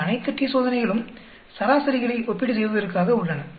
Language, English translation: Tamil, All these t Tests are meant for comparing means